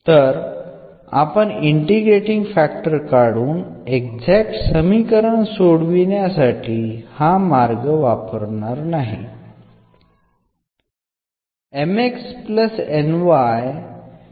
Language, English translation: Marathi, So, we may not follow exactly this approach here finding this integrating factor and then solving the exact equation